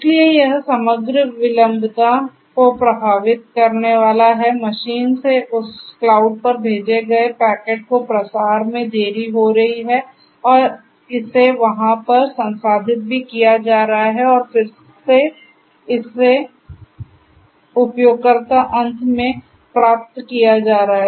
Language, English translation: Hindi, So, this is going to in turn impact the overall latency, propagation delay is going to increase of the packet that is sent from the device in the machine to that cloud and also processing it over there and then getting it back again the results to the user end that again will add to the time